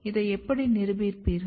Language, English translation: Tamil, How will you prove this